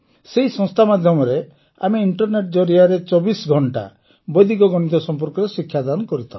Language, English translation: Odia, Under that organization, we teach Vedic Maths 24 hours a day through the internet, Sir